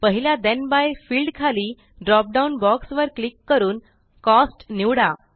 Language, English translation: Marathi, Under the first Then by field, click on the drop down, and select Cost